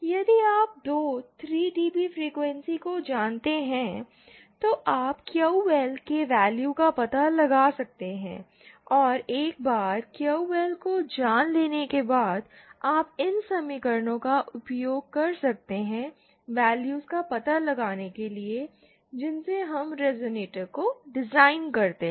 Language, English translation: Hindi, If you know the two 3dB dB frequencies, you can find out the value of QL and then once you know QL, you can use these equations that we just derived to find the values of the to design the resonator